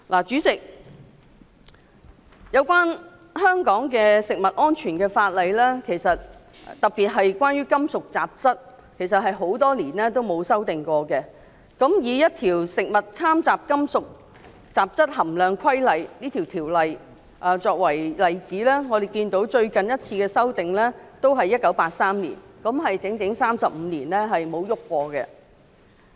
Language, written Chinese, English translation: Cantonese, 主席，香港的食物安全法例，特別是規管金屬雜質的法例，其實多年來也沒有作出修訂。以這項《規例》為例，我們可以看到最近一次是在1983年作出修訂，即整整35年沒有改動。, President I agree to most of the amendments proposed by the Government on this occasion and now I only wish to propose one resolution which seeks to amend the maximum permitted concentration MPC for cadmium in the new Schedule in section 10 of the Amendment Regulation from 0.2 mgkg as proposed in the Amendment Regulation to 0.1 mgkg in respect of four types of